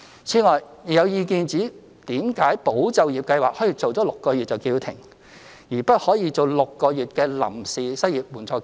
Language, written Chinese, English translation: Cantonese, 此外，亦有意見指，為甚麼"保就業"計劃可以做6個月便叫停，而不可以做6個月的臨時失業援助金？, Moreover there is the view that when the Employment Support Scheme ESS can be brought to an end six months after its inception why can we not provide a temporary unemployment assistance for six months?